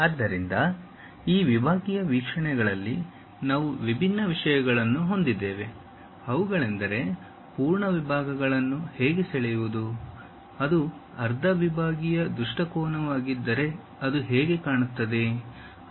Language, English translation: Kannada, So, in these sectional views, we have different topics namely: how to draw full sections, if it is a half sectional view how it looks like